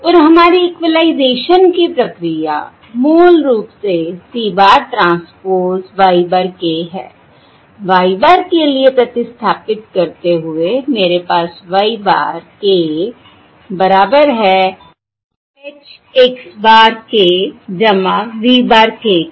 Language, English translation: Hindi, the process of equalization is basically c bar transpose y bar k, which is equal to c bar transpose, substituting for y bar k